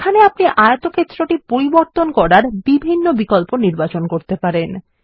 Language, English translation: Bengali, Here you can choose various options to modify the rectangle